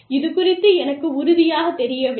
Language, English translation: Tamil, I am not very sure of this